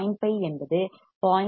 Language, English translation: Tamil, 5 is less than 0